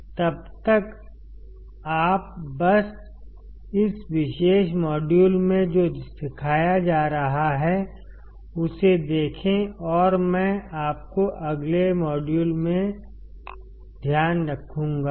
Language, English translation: Hindi, Till then you just look at what has being taught in this particular module and I will see you in the next module bye take care